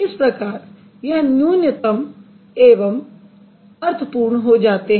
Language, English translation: Hindi, So, that's going to be the minimal, meaningful